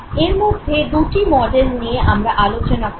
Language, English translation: Bengali, Two models we would discuss